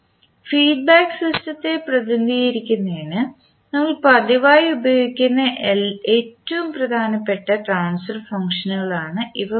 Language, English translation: Malayalam, So these three are the most important transfer functions which we use frequently to represent the feedback system